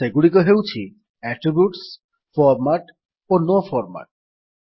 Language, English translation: Odia, They are Attributes,Format and No Format